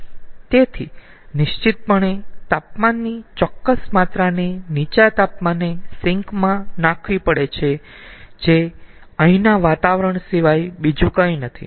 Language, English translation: Gujarati, so definitely certain amount of heat has to be dumped to the low temperature sink, which is nothing but the environment here